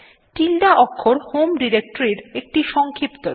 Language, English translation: Bengali, The tilde(~) character is a shorthand for the home directory